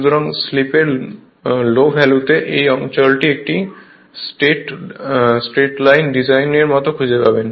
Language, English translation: Bengali, So, at the low value of slip you will see this region you will find something like a a straight line design right